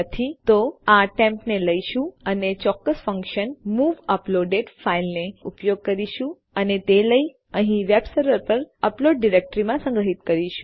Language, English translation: Gujarati, If not well take this temp and well use a specific function called move uploaded file and well take that and store it in our uploaded directory created on my web server here